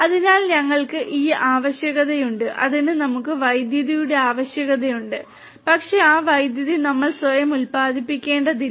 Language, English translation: Malayalam, So, we have this necessity for that we have the necessity for electricity, but that electricity we do not really have to generate ourselves; we do not have to generate ourselves